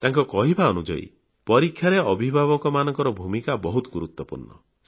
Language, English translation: Odia, He says that during exams, parents have a vital role to play